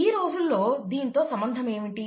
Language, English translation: Telugu, What is the relevance nowadays